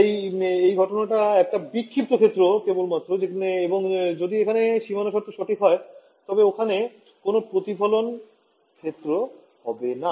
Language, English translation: Bengali, So, this incident is actually a scattered field only and if this a boundary condition was perfect, there should not be any reflected field